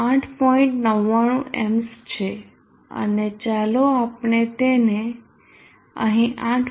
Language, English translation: Gujarati, 99 times and let us mark except 8